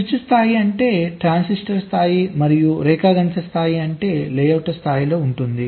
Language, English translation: Telugu, switch level means transitor level and geometric level means at the level of the layouts